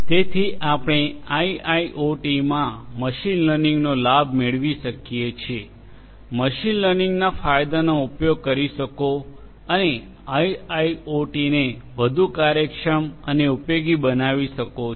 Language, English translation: Gujarati, So, you could use machine learning in IIoT in order to harness the benefits, utilize the benefits of machine learning and make IIoT much more efficient and useful